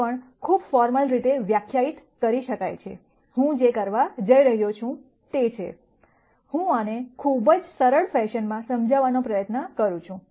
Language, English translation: Gujarati, This can also be very formally defined, what I am going to do is, I am going to try and explain this in a very simple fashion